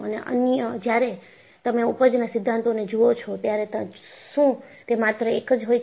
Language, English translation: Gujarati, And, when you look at the yield theories, are they just one